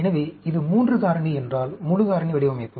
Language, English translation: Tamil, So, if it is a 3 factor, full factorial design